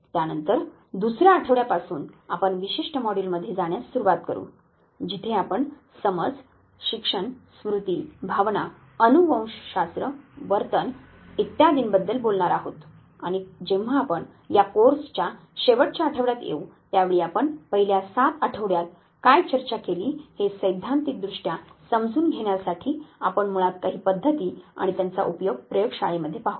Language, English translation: Marathi, Thereafter we will start the from the second week, we will start going through specific modules where we will be talking about perception learning memory emotion genetics and behavior and so forth and when we will come to the last week of this very course that would be the time, when we would be basically looking at some of the methods their application used in the lab setup to understand theoretically, what you would have discussed in the first 7 weeks